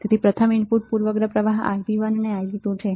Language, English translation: Gujarati, So, first one is input bias current Ib1 and Ib2